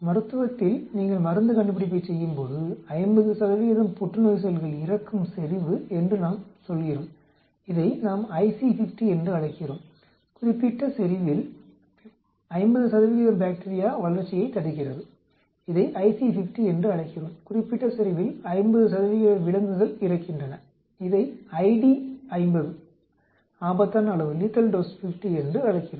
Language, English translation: Tamil, Like in clinical when you are doing drug discovery we say concentration at which 50 percent of cancer cells die, what is we call it as IC 50, concentration at which 50 percent of bacterial growth is inhibited we call it as IC 50, concentration at which 50 percent of the animals die we call it ID 50lethal dose 50